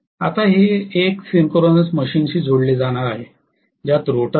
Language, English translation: Marathi, Now this is going to be coupled to a synchronous machine which is having the rotor